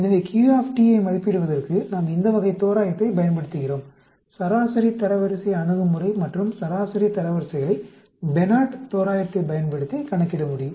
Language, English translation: Tamil, So in order to estimate Q, we use this type of approximation, the median rank approach and median ranks can be calculated using Benard’s approximation